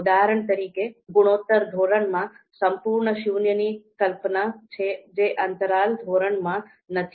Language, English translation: Gujarati, For example in ratio scale, we have the concept of absolute zero which is not there in the interval scale